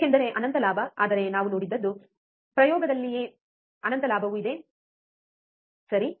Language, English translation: Kannada, Because infinite gain, but what we saw, right in experiment is that, even there is infinite gain, right